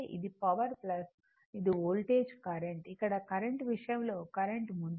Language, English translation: Telugu, This is power plus this is voltage current here in the in the case of current is leading